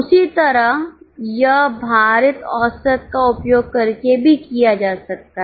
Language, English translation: Hindi, Same way it can be done using weighted average as well